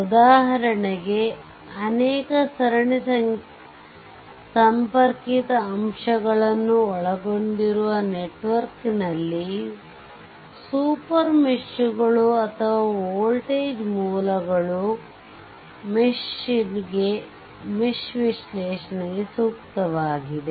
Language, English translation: Kannada, For example, in network right in network that contains many series connected elements right super meshes or voltage sources are suitable for mesh analysis right